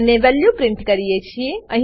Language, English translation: Gujarati, And print the value